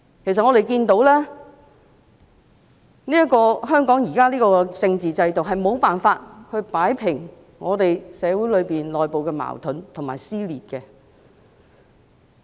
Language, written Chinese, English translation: Cantonese, 其實，我們看到香港現時的政治制度無法擺平社會內部的矛盾及撕裂。, In fact the current constitutional system of Hong Kong fails to resolve the internal social conflicts and dissension